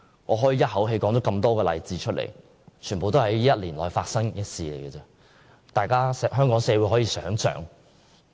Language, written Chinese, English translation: Cantonese, 我剛才一口氣舉出多個例子，全是本年內發生，香港社會可以思考一下。, All these examples I cited just now happened this year . The Hong Kong society should think about it